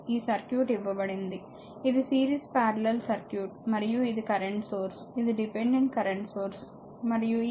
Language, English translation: Telugu, And this is the this is the circuit is given, it is the series power circuit and this is a current source, this is a dependent current source, and this current is 0